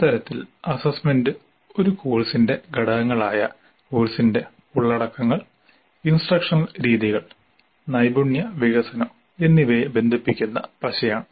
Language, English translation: Malayalam, So, assessment plays a crucial role in a way you can say that it is a glue that links the components of a course, the contents of the course, the instructional methods and the skills development